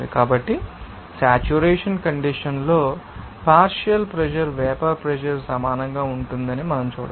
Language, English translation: Telugu, So, we can see that at a saturation condition, partial pressure will be equal to vapor pressure